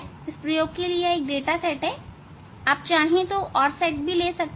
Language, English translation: Hindi, this is the one set of experiment data you can take and for these data